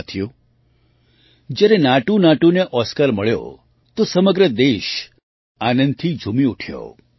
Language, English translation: Gujarati, Friends, when NatuNatu won the Oscar, the whole country rejoiced with fervour